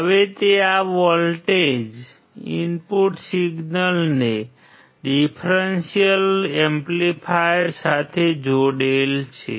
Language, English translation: Gujarati, Now he will connect this voltages, input signals to the differential amplifier